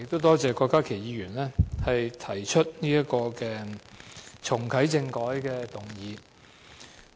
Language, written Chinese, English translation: Cantonese, 多謝郭家麒議員提出這項有關重啟政改的議案。, I thank Dr KWOK Ka - ki for moving this motion about reactivating constitutional reform